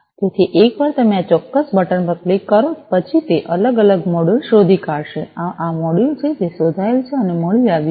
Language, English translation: Gujarati, So, you know once you click on this particular button it has discovered different modules and this is this module that has been discovered and has been found